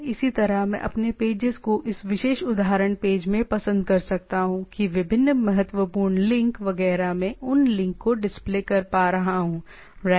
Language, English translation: Hindi, Similarly, I can have meet my pages having like in this particular example page that different important links etcetera, I can able to display those links right